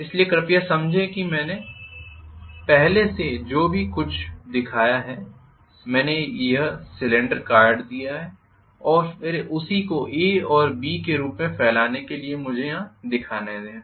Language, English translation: Hindi, So please understand previously whatever I have shown I had shown that this cylinder is cut and then spread out the same A and B let me show here